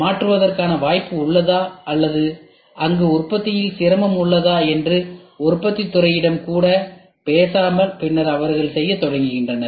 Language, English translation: Tamil, Without even talking to the manufacturing department whether there is a possibility of changing or is there a manufacturing difficulty there